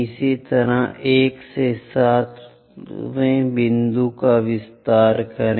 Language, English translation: Hindi, Similarly, extend 1 and 7th point